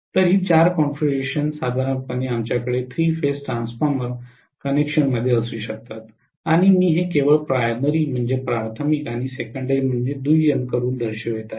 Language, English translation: Marathi, So these are the four configurations normally we can have in the three phase transformer connection and I am showing this only by having primary and secondary